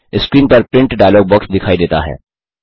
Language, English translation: Hindi, The Print dialog box appears on the screen